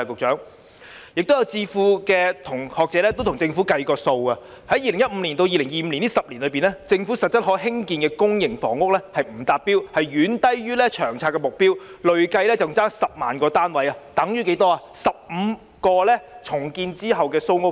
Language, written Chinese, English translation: Cantonese, 此外，有智庫和學者替政府計算過，在2015年至2025年這10年間，政府實質可興建的公營房屋數量不達標，遠低於《長遠房屋策略》所訂的目標，累計欠缺10萬個單位，而10萬個單位等於15個重建後的蘇屋邨。, Besides some think tanks and scholars have done some computations for the Government . During the 10 years from 2015 to 2025 the number of public housing units which can actually be produced by the Government fails to meet the target and is far below the target set under the Long Term Housing Strategy . There is a shortfall of 100 000 units in total which is equivalent to the number of units provided by 15 redeveloped So Uk Estate